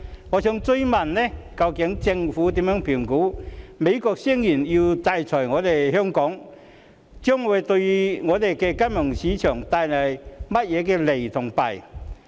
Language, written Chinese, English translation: Cantonese, 我想追問政府，對於美國聲言要制裁香港，政府如何評估這對本港金融市場會有何利弊？, I would like to ask the Government a follow - up question . With regard to the United States claiming to sanction Hong Kong how will the Government assess the advantages and disadvantages to be brought to the local financial market?